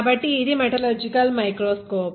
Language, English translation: Telugu, So, this is a metallurgical microscope